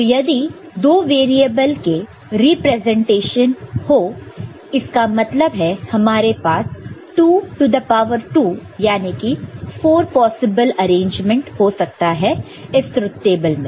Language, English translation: Hindi, And, if we look at the two variable representation so, with two variables, we can have two variable we can have 2 to the power 2, that is 4 possible arrangements in the this truth table